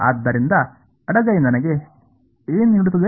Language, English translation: Kannada, So, what does the left hand side give me